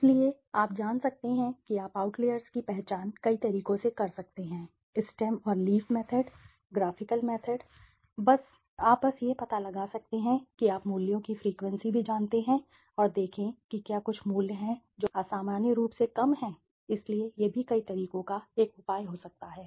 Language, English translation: Hindi, So, you can you know identifying outliers you can do to several methods the Stem and Leaf method is the graphical method right, you can just find out you know the frequency of the values also and see whether some value is there which is abnormally higher, abnormally low right, so that also can be a measure the several ways